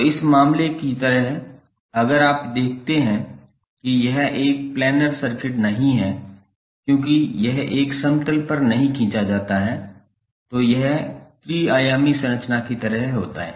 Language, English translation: Hindi, So, like in this case if you see it is not a planar circuit because it is not drawn on a plane it is something like three dimensional structure